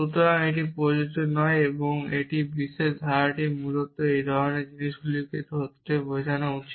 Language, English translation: Bengali, So, this does not apply and this particular clause here is meant to catch exactly these kind of a things essentially